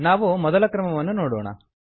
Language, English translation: Kannada, Let us see the first method